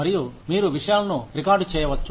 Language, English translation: Telugu, And, you can record things